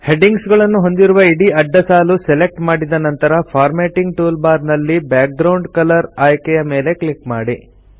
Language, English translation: Kannada, After selecting the entire horizontal row containing the headings, click on the Borders icon on the Formatting toolbar